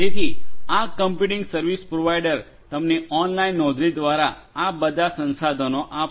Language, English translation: Gujarati, So, this computing service provider will give you all these resources through online subscription